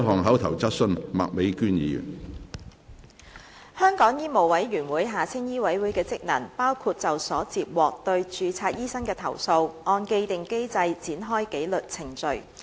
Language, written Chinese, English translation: Cantonese, 香港醫務委員會的職能，包括就所接獲對註冊醫生的投訴，按既定機制展開紀律程序。, The functions of the Medical Council of Hong Kong MCHK include instituting in accordance with the established mechanism disciplinary proceedings in respect of complaints received against registered medical practitioners